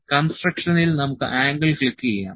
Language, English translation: Malayalam, In the construction we can click angle